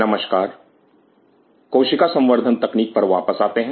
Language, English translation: Hindi, Welcome come back to the Cell Culture Technology